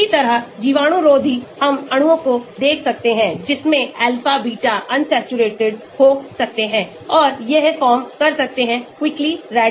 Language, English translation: Hindi, similarly, antibacterial we may look at molecules, which may have alpha, beta, unsaturated or which may form quickly radicals and so on